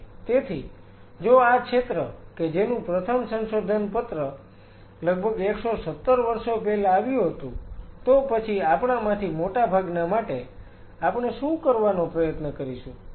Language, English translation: Gujarati, So, if this field which has its first set of publication coming almost 117 years back, then for most what we will try to do